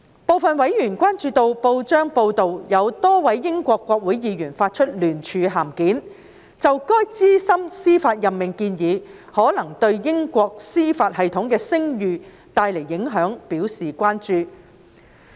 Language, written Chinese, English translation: Cantonese, 部分委員關注到報章報道指多位英國國會議員發出聯署函件，就該資深司法任命建議可能對英國司法系統的聲譽帶來的影響表達關注。, Some members have expressed concerns about press reports that a number of Members of the Parliament of the United Kingdom UK issued a joint letter expressing concerns about the possible impact of the proposed senior judicial appointment on the reputation of the UK judicial system